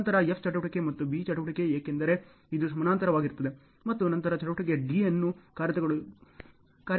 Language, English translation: Kannada, Then F activity and B activity, because this is in parallel and then activity D is executed